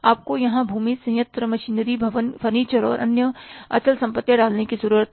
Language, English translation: Hindi, You need to put here land, plant, machinery, buildings, furniture and the other fixed assets